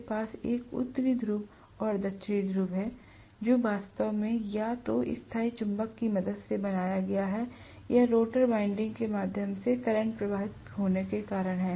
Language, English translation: Hindi, I am going to have a North Pole and South Pole which is actually created either with the help of the permanent magnet or because of the current flowing through the rotor windings